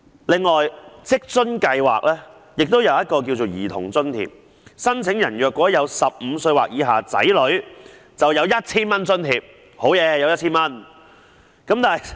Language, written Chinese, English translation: Cantonese, 此外，職津計劃下有一項兒童津貼，申請人如有年齡15歲或以下的子女便會獲得 1,000 元津貼。, Moreover a Child Allowance is granted under WFAS . Applicants with children aged 15 or below will receive an allowance of 1,000